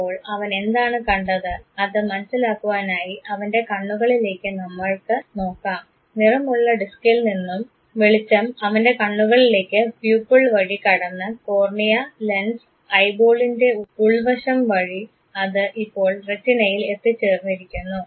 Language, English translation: Malayalam, So, what did he see, to comprehend this let us look into his eyes, the light from the colored disk entered the eye through Pupil, Cornea, Lens and Interiors of eye ball it has now reached the Retina